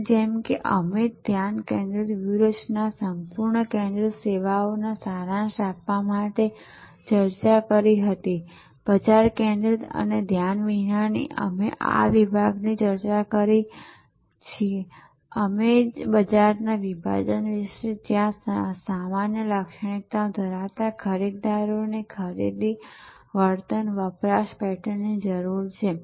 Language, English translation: Gujarati, So, as we discussed to summarise focused strategy fully focused service, market focused and unfocused we discuss these segments we discussed about market segmentation and where buyers of common characteristics needs purchasing behaviour and consumption pattern